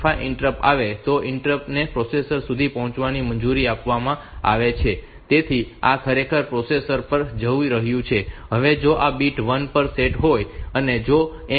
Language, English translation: Gujarati, 5 interrupt comes then that interrupt is allowed to reach the processor, so this is actually going to the processor, now if this bit is set to 1 if M 6